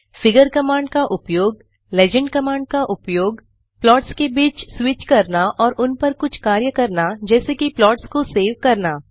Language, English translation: Hindi, use the legend command switch between the plots and perform some operations on each of them like saving the plots